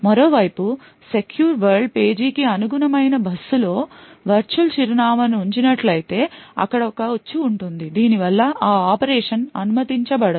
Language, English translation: Telugu, On the other hand if a virtual address is put out on a bus which actually corresponds to a secure world page then there would be a trap and the operation would not be permitted